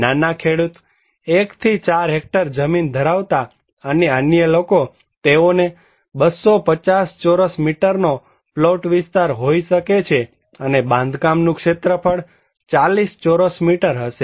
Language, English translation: Gujarati, The small farmer, between 1 to 4 hectare landholding and others, they can have 250 square meter plot area and the construction area will be 40 square meters